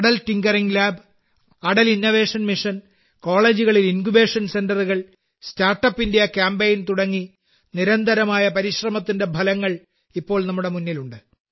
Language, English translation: Malayalam, Atal Tinkering Lab, Atal Innovation Mission, Incubation Centres in colleges, StartUp India campaign… the results of such relentless efforts are in front of the countrymen